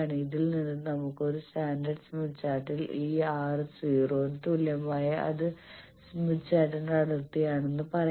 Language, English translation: Malayalam, From this we can say that in a standard smith chart which is smith chart where this R bar is equal to 0 is the boundary